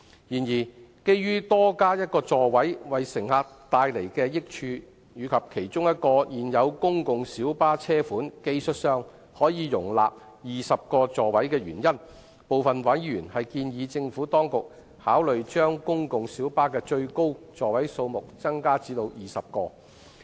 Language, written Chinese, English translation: Cantonese, 然而，鑒於多加一個座位會為乘客帶來益處，以及現有公共小巴的其中一個車款技術上可容納20個座位，部分委員建議政府當局考慮將公共小巴的最高座位數目增加至20個。, Nevertheless a number of them suggested that the Administration should consider increasing the maximum seating capacity of PLBs to 20 on the grounds that one additional seat would bring benefits to passengers and that one of the existing PLB models could technically accommodate 20 seats